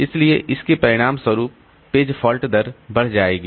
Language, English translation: Hindi, So, as a result, this page fault rate will increase